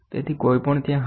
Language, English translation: Gujarati, So, anyone will be there